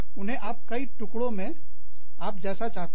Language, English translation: Hindi, Tear them up, into, as many pieces, as you want